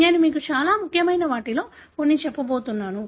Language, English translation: Telugu, I am going to tell you some of the very important ones